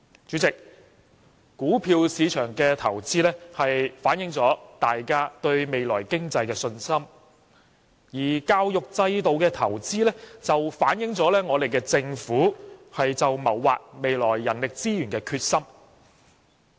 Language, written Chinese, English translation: Cantonese, 主席，股票市場的投資反映大家對未來經濟的信心，而教育制度的投資則反映政府謀劃未來人力資源的決心。, President while the investment in the stock market reflects our confidence in the future economy the investment in the education system reflects the Governments determination to make human resources plans for the future